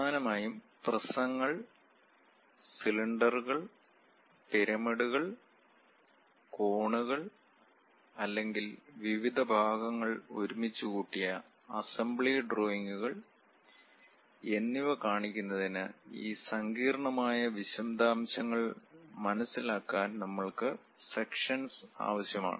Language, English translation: Malayalam, Mainly to represents prisms, cylinders, pyramids, cones or perhaps assembly drawings where different parts have been assembled, joined together; to understand these intricate details we require sections